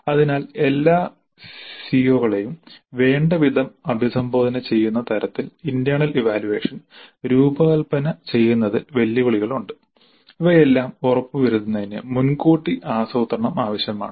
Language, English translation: Malayalam, So there are challenges in designing the internal assessment in such a way that all the COs are addressed adequately and ensuring all these requires considerable planning upfront